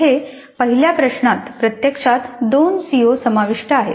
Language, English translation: Marathi, So here if you see the first question actually has two COs covered by that